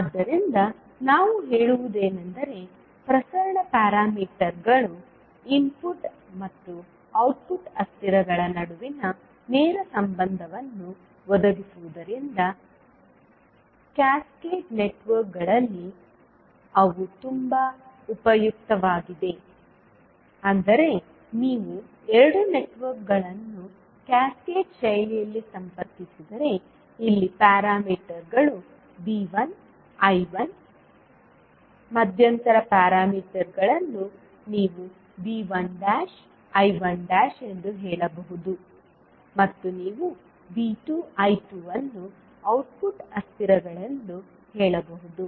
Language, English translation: Kannada, So, what we can say that since the transmission parameters provides a direct relationship between input and output variables, they are very useful in cascaded networks that means if you have two networks connected in cascaded fashion so you can say that here the parameters are V 1 I 1, intermittent parameters you can say V 1 dash I 1 dash and output you may have V 2 and I 2 as the variables